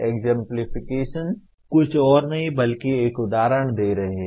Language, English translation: Hindi, Exemplification is nothing but giving an example